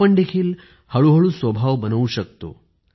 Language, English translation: Marathi, Here too we can gradually nurture this habit